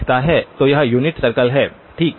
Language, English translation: Hindi, So this is the unit circle okay